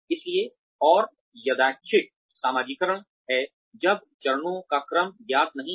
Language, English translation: Hindi, So, and random socialization is when, the sequence of steps is not known